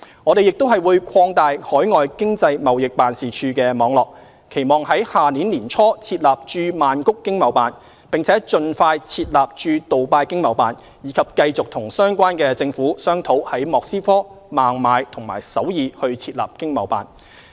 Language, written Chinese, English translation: Cantonese, 我們亦會擴大海外經濟貿易辦事處網絡，期望在明年年初設立駐曼谷經貿辦，並盡快設立駐杜拜經貿辦，以及繼續與相關政府商討在莫斯科、孟買和首爾設立經貿辦。, We will also expand our network of Economic and Trade Offices ETOs and we expect to set up ETO in Bangkok early next year and ETO in Dubai as soon as possible . We will continue our discussion with the respective governments on setting up ETOs in Moscow Mumbai and Seoul